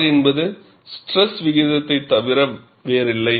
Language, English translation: Tamil, R is nothing but stress ratio